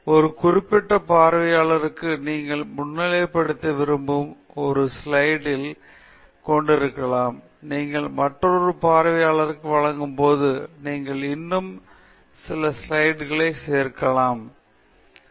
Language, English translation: Tamil, You may highlight specific, you know, may be there are three slides that you want to highlight for one audience, you may add couple more slides when you present it to another audience, you may completely change the format of presentation when you go to a third audience